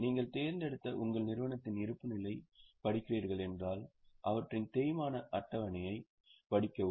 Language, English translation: Tamil, If you are reading the balance sheet of your company which you have chosen, please read their depreciation schedule